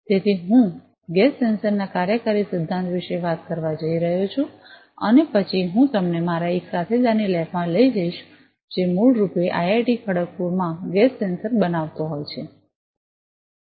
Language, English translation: Gujarati, So, I am going to talk about the working principle of a gas sensor and then I am going to take you to one of labs of one of my colleagues, who is basically fabricating a gas sensor at IIT Kharagpur